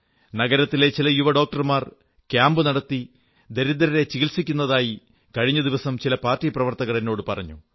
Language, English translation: Malayalam, Recently, I was told by some of our party workers that a few young doctors in the town set up camps offering free treatment for the underprivileged